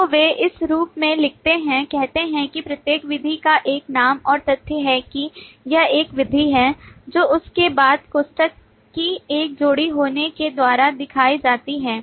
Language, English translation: Hindi, So they, written in this form, say: every method has a name and the fact that it is a method is shown by having a pair of parenthesis